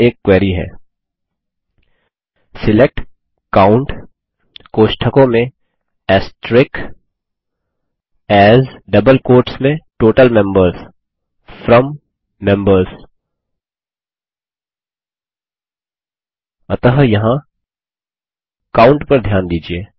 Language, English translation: Hindi, Here is a query: SELECT COUNT(*) AS Total Members FROM Members So here notice the COUNT